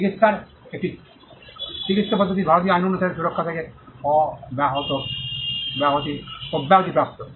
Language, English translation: Bengali, There is a medical method of treatment are exempted from protection under the Indian act